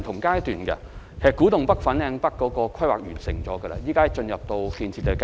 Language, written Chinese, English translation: Cantonese, 古洞北、粉嶺北的規劃已經完成，正在進入建設階段。, The planning of the Kwu Tung NorthFanling North NDAs has completed and the construction works will commence soon